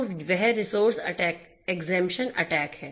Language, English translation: Hindi, So, that is the resource exemption attack